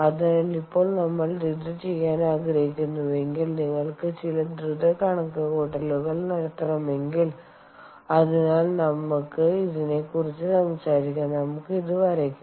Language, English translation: Malayalam, so now, if we want to do this, if you want to do some quick calculations, so let us talk about ah, um, let us just draw this